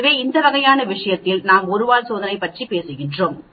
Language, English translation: Tamil, So, in that sort of thing we are talking about one tail test